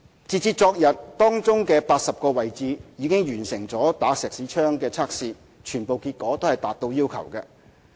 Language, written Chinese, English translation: Cantonese, 截至昨天，當中80個位置已完成"打石屎槍"測試，全部結果達到要求。, As of yesterday Schmidt Hammer Tests had been completed at 80 locations of the problematic concrete cubes concerned and all of them met the required standard